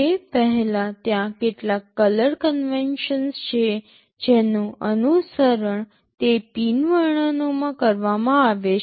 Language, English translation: Gujarati, Before that there are some color conventions that are followed in those pin descriptions